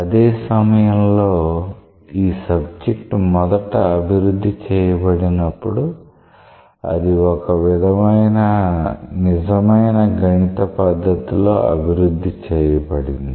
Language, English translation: Telugu, At the same time when the subject was first developed it was developed in a sort of true mathematical way